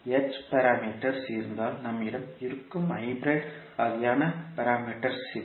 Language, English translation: Tamil, These are the hybrid kind of parameters which we have in case of h parameters